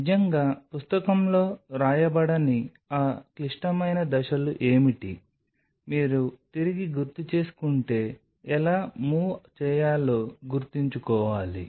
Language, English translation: Telugu, What are those critical steps which will not be really written in a book, but you kind of have to keep in mind how to move